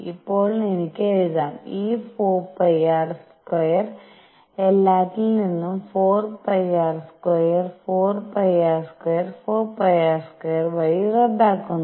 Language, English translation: Malayalam, Now, I can write this 4 pi r square cancels from all through 4 pi r square 4 pi r square 4 pi r square